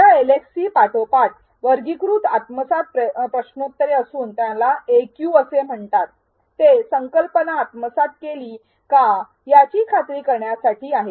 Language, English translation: Marathi, These LxTs are followed by graded assimilation quiz also called as AQ to ensure that you have assimilated the key concepts